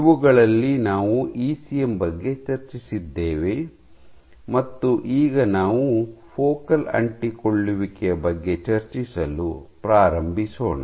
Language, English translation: Kannada, So, of these we discussed ECM and now we are going to start discussing focal adhesions